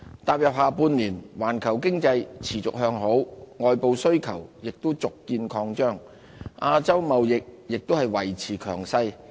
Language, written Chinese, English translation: Cantonese, 踏入下半年，環球經濟持續向好，外部需求亦續見擴張，亞洲貿易亦維持強勢。, Moving into the second half of 2017 the world economy remains benign external demand stays vibrant and trade continues to boom in Asia